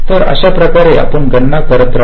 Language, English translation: Marathi, so in this way you go on calculating